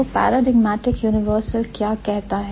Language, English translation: Hindi, So, what does the paradigmatic universal say